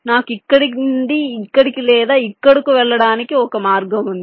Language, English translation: Telugu, i have a path to take from here to here or here to here, right